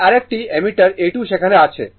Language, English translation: Bengali, This another ammeter A 2 is there